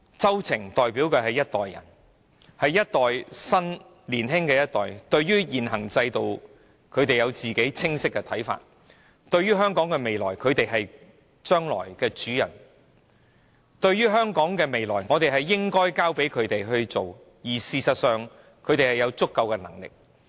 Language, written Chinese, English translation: Cantonese, 周庭所代表的年青一代，對於現行制度有他們清晰的看法，他們是將來的主人翁，我們應把香港的未來交託在他們手上，讓他們建造未來，而事實上他們亦有足夠的能力。, Agnes CHOW is a representative of the younger generation and as the future masters of society they have their own clear views on the existing system . We should entrust the future of Hong Kong to these young people and let them shape our future for they do have sufficient ability to do so